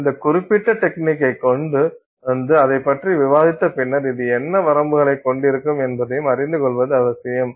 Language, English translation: Tamil, Having, you know, come upon this particular technique and having discussed it, it is also important to know what limitations this might have